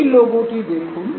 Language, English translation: Bengali, Look at this very logo